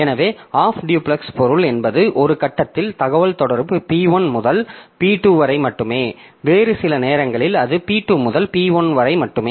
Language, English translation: Tamil, So, half duplex means at one point of time communication is from p1 to p2 only and at some other time it is from p2 to p1 only